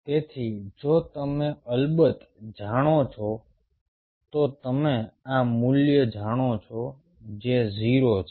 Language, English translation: Gujarati, so if you know, of course you know this value, which is zero